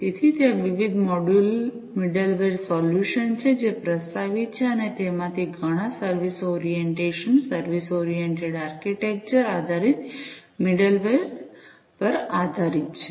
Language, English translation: Gujarati, So, there are different middleware solutions, that are proposed and many of them are based on the service orientation, service oriented architecture based middleware